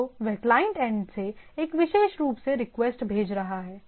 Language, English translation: Hindi, So, what we have from the client end it is a sending a particular say application